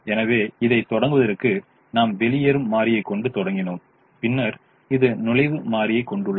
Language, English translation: Tamil, so to begin with we started with this as the living variable and then this has the entering variable